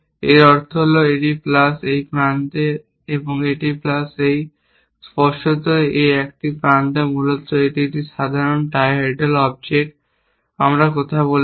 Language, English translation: Bengali, plus at this end, obviously it is same edge essentially it is a simple trihedral object, we are talking about